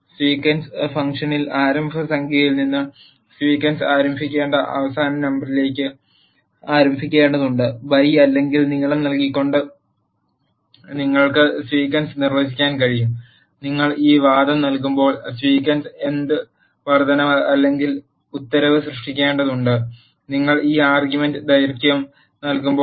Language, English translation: Malayalam, Sequence function contains from the starting number from which the sequence has to begin to the ending number with which the sequence has to begin, you can define the sequence by either providing the by or length, when you provide this argument by it will specifiy by what increment or decrement the sequence has to be generated, when you provide this argument length